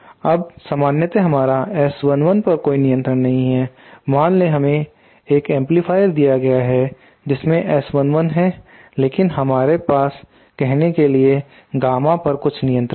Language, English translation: Hindi, Now usually we donÕt have any control over the S 1 1 suppose we are given an amplifier the S 1 1 is kind of constant but we do have some control over say the gamma l